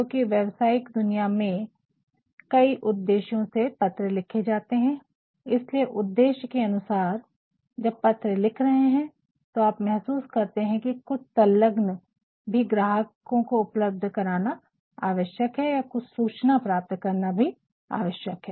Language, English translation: Hindi, Because letters in the professional world are written for various purposes and depending upon the purposes when you are writing your letter and if you feel that some enclosures are also essential for providing the customer or the receiver some more information